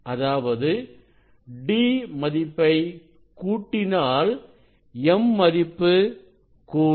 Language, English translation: Tamil, If you decrease this d, so m will decrease then what will happen